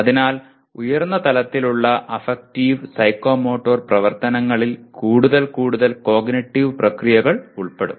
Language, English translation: Malayalam, So higher level, affective and psychomotor activities will involve more and more cognitive processes